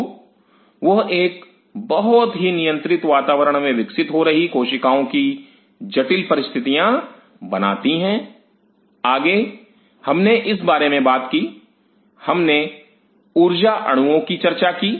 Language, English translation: Hindi, So, those adds up the complex situation of growing cell in a very controlled environment further, we talked about when we talked about; we talked about the energy molecule